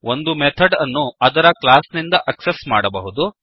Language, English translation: Kannada, We can access a method from the class